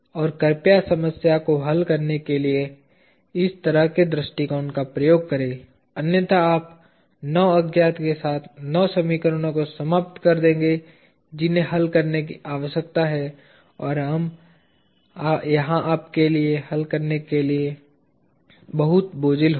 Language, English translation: Hindi, And, please use this kind of an approach in order to solve the problem else you will end up with 9 equations with 9 unknowns that need to be solved and it will be too cumbersome for you to solve